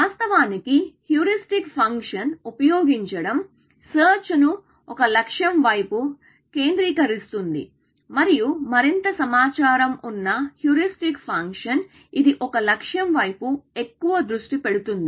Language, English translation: Telugu, So, the fact that using a heuristic function actually, focuses a search towards the goal and more informed heuristic function is, the more it focuses towards a goal; which means, search becomes